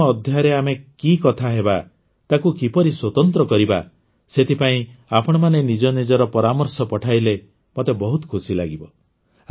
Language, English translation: Odia, I would like it if you send me your suggestions for what we should talk about in the 100th episode and how to make it special